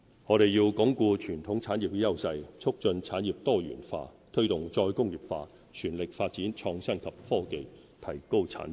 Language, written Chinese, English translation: Cantonese, 我們要鞏固傳統產業的優勢，促進產業多元化，推動"再工業化"，全力發展創新及科技，提高產值。, In tandem with reinforcing the competitive edges of our traditional industries we should foster diversification of our industries promote re - industrialization and press ahead with our innovation and technology development to increase output value